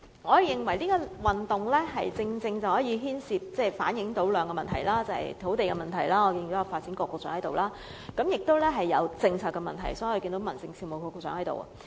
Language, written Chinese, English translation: Cantonese, 我認為龍獅運動正好反映兩個問題，第一個是土地問題——我看到發展局局長在座——第二個是政策問題，所以看到民政事務局局長在座。, I think dragon and lion dance sports can precisely reflect two problems . The first is land problem and I see that the Secretary for Development is present here and the second is policy problem and I also see that the Secretary for Home Affairs is sitting here